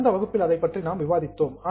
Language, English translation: Tamil, That is what we had discussed in the last session